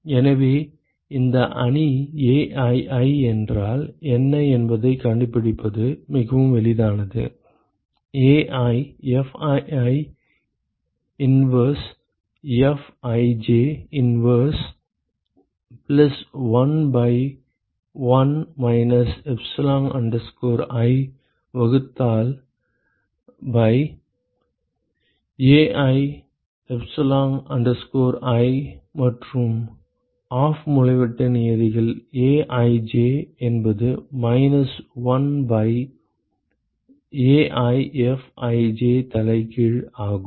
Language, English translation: Tamil, So, it is so easy to find out what this matrix is aii is sum over j equal to 1 to N 1 by AiFii inverse Fij inverse excuse me plus 1 by 1 minus epsilon i divided by Ai epsilon i and the off diagonal terms are Aij is minus 1 by AiFij inverse